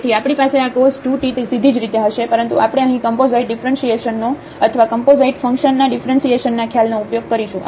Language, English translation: Gujarati, So, we will have this cos 2 t directly as well, but we used here the idea of this composite differentiation or the differentiation of composite function